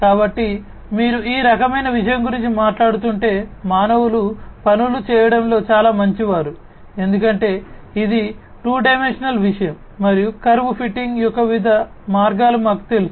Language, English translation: Telugu, So, if you are talking about this kind of thing, the humans are very good in doing things because it is a 2 dimensional thing and we know different ways of curve fitting etcetera